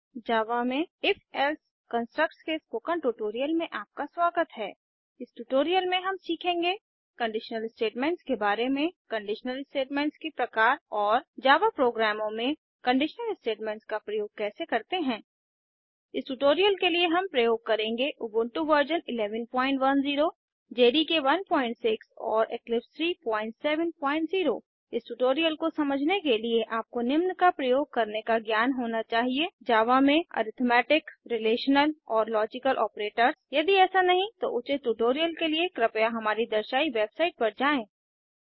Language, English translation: Hindi, In this tutorial we will learn: * About conditional statements * types of conditional statements and * How to use conditional statements in Java programs For this tutorial we are using: Ubuntu v 11.10 JDK 1.6 and Eclipse 3.7.0 To follow this tutorial you should have knowledge of using * Arithmetic, Relational and Logical operators in Java If not, for relevant tutorials please visit our website which is as shown